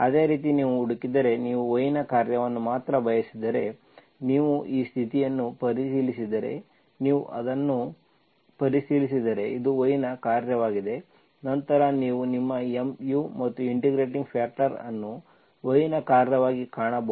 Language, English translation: Kannada, Similarly if you look for, if you want only the function of y, if you check this condition, if you verify that, this is a function of y alone, then you can find your mu, and integrating factor as function of y alone